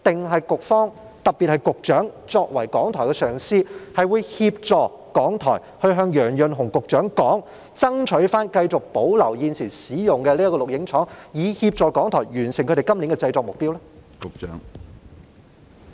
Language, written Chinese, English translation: Cantonese, 或局長作為港台的上司，會協助港台向楊潤雄局長表達意見，爭取保留現時使用的這個錄影廠，以協助港台完成今年的製作目標？, Or as the supervisor of RTHK will the Secretary assist RTHK in conveying its views to Secretary Kevin YEUNG and striving to retain this studio currently used by it so as to assist RTHK in meeting its output target this year?